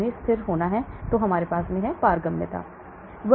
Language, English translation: Hindi, They have to be stable, then we have the permeability